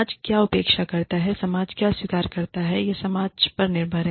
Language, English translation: Hindi, What the society expects, what the society accepts, is up to the society